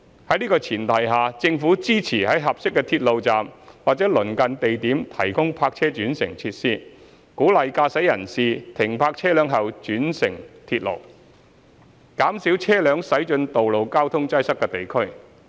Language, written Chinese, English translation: Cantonese, 在這前提下，政府支持在合適的鐵路站或鄰近地點提供泊車轉乘設施，鼓勵駕駛人士停泊車輛後轉乘鐵路，減少車輛駛進道路交通擠塞的地區。, On this premise the Government supports the provision of park - and - ride facilities at suitable railway stations or nearby locations to encourage motorists to take the trains after parking their vehicles thereby reducing the road traffic in congested areas